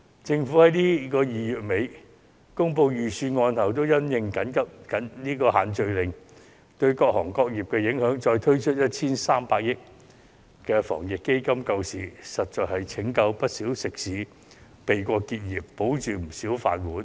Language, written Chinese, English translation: Cantonese, 政府在2月底公布預算案後，因應"限聚令"對各行各業的影響加推 1,300 億元的防疫抗疫基金救市，實在拯救了不少食肆，保住不少"飯碗"。, After the Budget delivery in late February the Government has in consideration of the impacts of the group gathering ban on different industries launched the second round of the Anti - epidemic Fund involving 130 billion to support the economy . The Fund is actually a lifesaver for many eateries and has safeguarded a large number of jobs